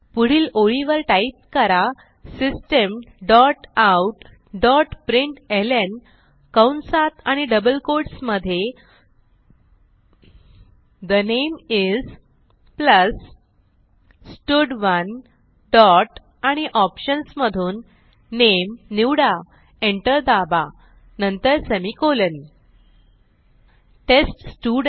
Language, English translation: Marathi, Next line type System dot out dot println within brackets and double quotes The name is, plus stud1 dot select name press enter then semicolon